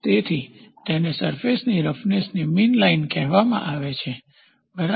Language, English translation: Gujarati, So, that is called as mean line of surface roughness, ok